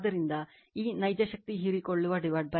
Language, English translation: Kannada, So, this real power absorbed by line is 695